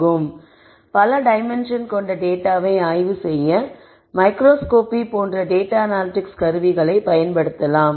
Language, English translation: Tamil, So, I would think of data analytic tools as microscope to probe higher dimensional data